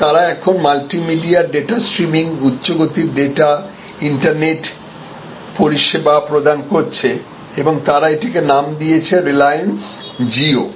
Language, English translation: Bengali, But, they are now getting into multimedia data streaming high speed data service internet service and they are calling it Reliance Jio